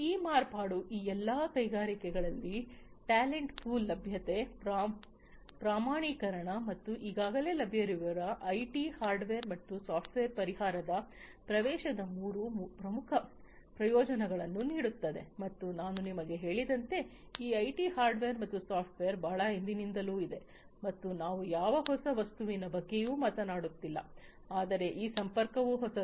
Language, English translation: Kannada, So, this modification gives three main benefits availability of talent pool, standardization, and accessibility of already available IT hardware and software solution in all these industries, and as I told you these IT hardware and software has been there since long and we are not talking about anything new now, but this connectivity is new